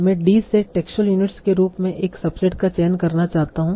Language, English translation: Hindi, I want to select a subset as of textual units from D